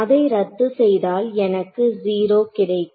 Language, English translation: Tamil, So, it will cancel off I will get 0